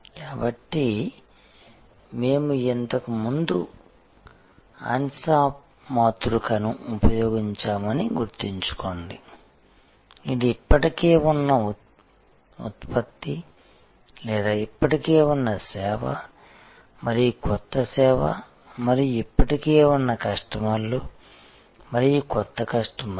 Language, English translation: Telugu, So, you remember that we had used earlier Ansoff matrix which is existing product or existing service and new service and existing customers and new customers